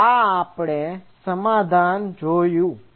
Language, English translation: Gujarati, So, this we saw as the solution